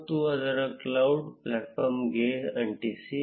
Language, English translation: Kannada, And paste it to the cloud platform